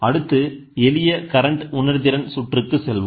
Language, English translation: Tamil, Next we will move into simple current sensitive circuits